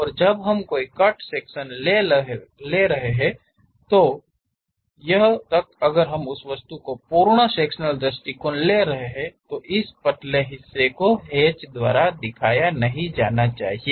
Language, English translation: Hindi, And when we are taking any cut sectional representation; even if we are taking full sectional view of that object, this thin portion should not be hatched